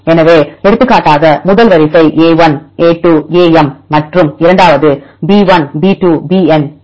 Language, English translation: Tamil, So, for example, if first sequence is a1, a2 am and the second is b1, b2, bn